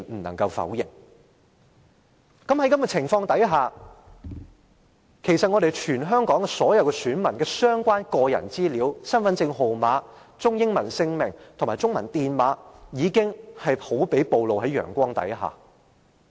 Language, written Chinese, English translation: Cantonese, 那麼，在此情況下，其實全香港所有選民的相關個人資料，包括身份證號碼、中英文姓名及中文姓名電碼，便好比暴露於陽光下。, Hence under such circumstances the personal data of all electors in Hong Kong including their identity card number name in Chinese and English and the Chinese commercial code for their Chinese name are in fact fully exposed in broad day light